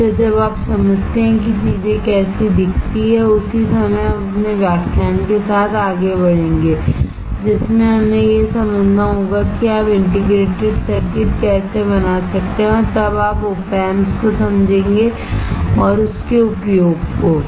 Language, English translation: Hindi, So, that you keep on understanding how the things looks like, the same time we will move forward with our lecture in which we have to understand how you can fabricate the integrated circuit and then you will understand the operational amplifier and it is uses